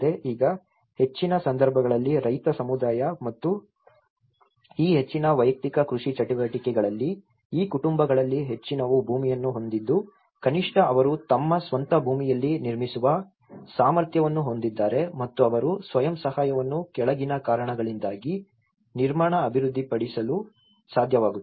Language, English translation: Kannada, Now, in most of the cases being a farmer’s community and most of these individual agricultural activities, most of these families own land so that at least they have a capacity to build on their own piece of land and they could able to develop self help construction for the following reasons